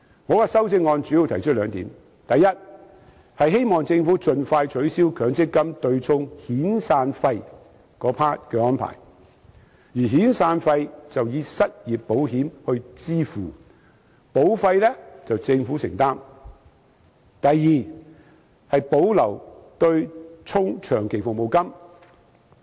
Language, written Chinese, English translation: Cantonese, 我的修正案主要提出兩點：第一，希望政府盡快取消強積金對沖遣散費的安排，而遣散費則以失業保險來支付，保費由政府承擔；第二，保留強積金對沖長期服務金的安排。, My amendment consists of two main points first it is hoped that the Government will expeditiously abolish the arrangement of offsetting severance payments against MPF contributions and that severance payments will be met by unemployment insurance with premiums borne by the Government; second the arrangement of offsetting long service payments against MPF contributions should be retained